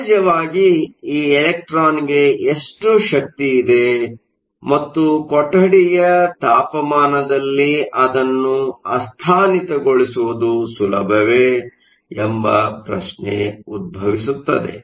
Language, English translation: Kannada, The question of course, is how much energy does this electron have and is it easy to make it delocalized at room temperature